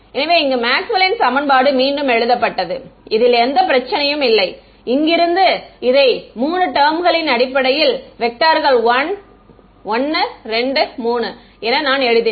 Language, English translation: Tamil, So, Maxwell’s equation were re written in this no problem from here I wrote it in terms of 3 vectors 1 2 3